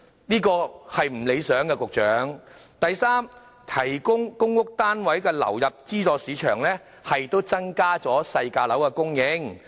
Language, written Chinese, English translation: Cantonese, 局長，這情況並不理想；第三，提供公屋單位流入資助市場，亦可增加細價樓的供應。, Secretary this situation is not satisfactory . And third PRH units in the subsidized market can also increase the supply of lower - priced flats